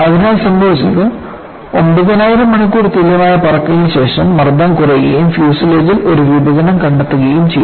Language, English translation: Malayalam, So, what happened was after 9000 hours of equivalent flying, the pressure dropped, and a split in the fuselage was found